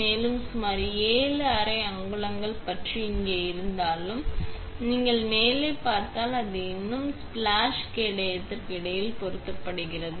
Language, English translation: Tamil, And, even though it is about approximately 7 half inches across here, if you look through the top, it still comfortably fits in between the splash shield